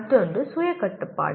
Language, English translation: Tamil, The other is self regulation